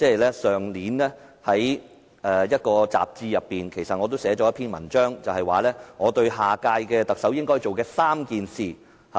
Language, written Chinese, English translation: Cantonese, 其實，我去年於某雜誌撰寫一篇文章，提到我認為下屆特首應做的3件事。, In fact in an article published in a magazine last year I mentioned three areas that I considered the next Chief Executive should work on